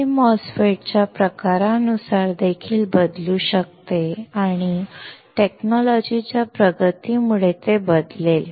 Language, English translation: Marathi, It can also vary depending on type of MOSFET and with the technology advancement, it will change